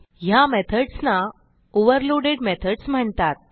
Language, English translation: Marathi, These methods are called overloaded methods